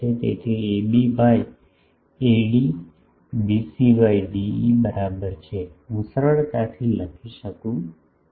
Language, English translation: Gujarati, So, AB by AD is equal to BC by DE, I can easily write this